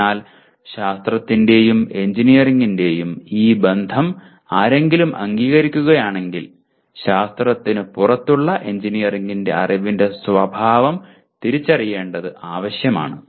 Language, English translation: Malayalam, So if one accepts this relationship of science and engineering it becomes necessary to identify the nature of knowledge of engineering which is outside science